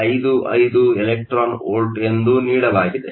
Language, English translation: Kannada, 55 electron volts